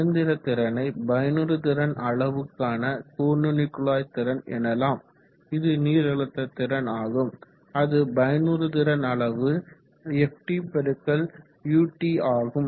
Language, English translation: Tamil, So you say the power the mechanical power is efficiency times jet power which is the hydraulic power here which is efficiency times ft x ut, ft x ut is the jet power